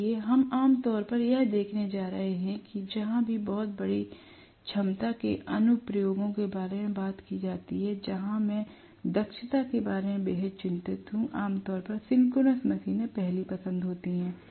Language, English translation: Hindi, So, we are going to generally see that wherever very large capacity applications are talked about, where I am extremely concerned about the efficiency, synchronous machines generally are the first choices